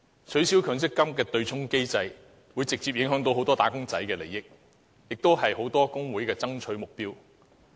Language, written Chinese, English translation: Cantonese, 取消強制性公積金的對沖機制，會直接影響很多"打工仔"的利益，而"打工仔"是很多工會的爭取目標。, An abolition of the Mandatory Provident Fund MPF offsetting mechanism will directly affect the interest of many wage earners who are the targets of many labour unions